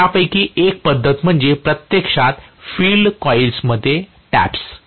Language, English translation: Marathi, So, one of the methods is actually taps in the field coil